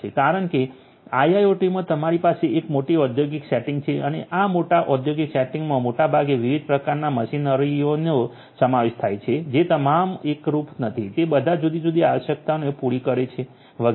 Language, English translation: Gujarati, The reason is that in IIoT you have a large industrial setting and in this large industrial setting consisting of largely different types of machinery not all of which are homogeneous all of which are catering to different different requirements and so on